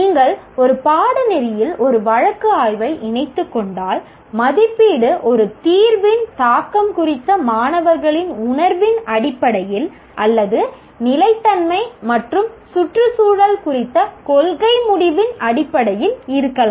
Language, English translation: Tamil, So, if you are incorporating a case study in a course, the assessment could be in terms of students' perception of impact of a solution or policy decision on sustainability and environment